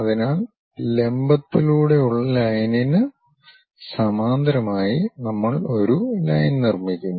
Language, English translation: Malayalam, So, we construct a line parallel to that dropping through vertical